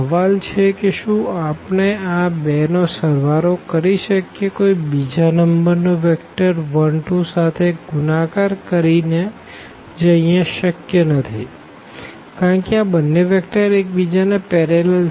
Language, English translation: Gujarati, The question is can we add these two by multiplying some number to get this vector 1 and 2 and which is clearly visible here that this is not possible because, these two vectors are parallel